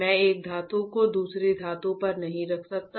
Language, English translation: Hindi, I cannot put one metal on second metal